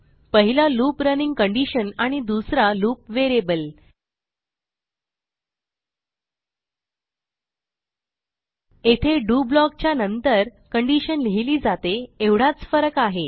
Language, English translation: Marathi, And the second is the loop variable The only difference is that the condition is written after the do block